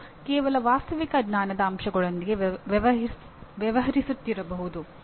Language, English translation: Kannada, One may be dealing with just factual knowledge elements